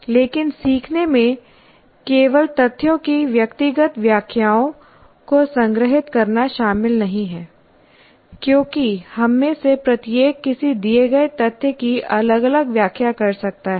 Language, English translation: Hindi, But learning involves not just storing personal interpretations of facts because each one of us may interpret a particular fact completely differently